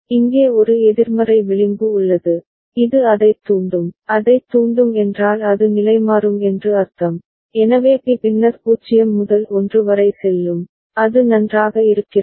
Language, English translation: Tamil, There is a negative edge over here which will trigger it, trigger it means it will toggle, so B will go from then 0 to 1, is it fine